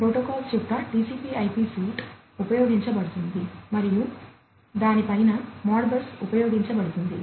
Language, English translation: Telugu, So, TCP/IP suite of protocols is used and on top of that the Modbus is used